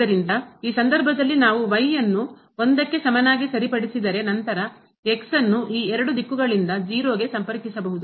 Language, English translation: Kannada, So, in this case if we fix is equal to 1 and then, approach to 0 from this two directions